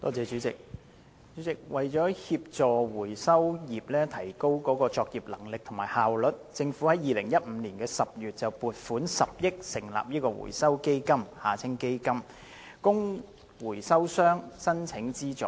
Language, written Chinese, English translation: Cantonese, 主席，為協助回收業提高作業能力和效率，政府於2015年10月撥款10億元成立回收基金，供回收商申請資助。, President to assist the recycling industry in enhancing operational capabilities and efficiency the Government established the Recycling Fund the Fund in October 2015 with an allocation of 1 billion for application by recyclers for subsidies